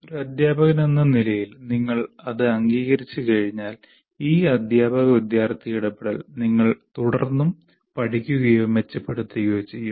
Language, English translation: Malayalam, Once you accept that, as a teacher, we will continue to learn or improve upon this teacher student interaction